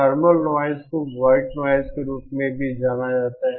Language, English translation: Hindi, Thermal noise is also known by the term known as white noise